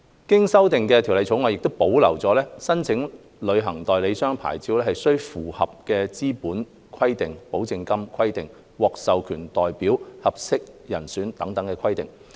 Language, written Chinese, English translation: Cantonese, 經修訂的《條例草案》亦保留了申請旅行代理商牌照須符合的資本規定、保證金規定、獲授權代表、合適人選等規定。, Other application requirements of travel agent licence including those relating to capital guarantee money authorized representative and suitability are maintained in the amended Bill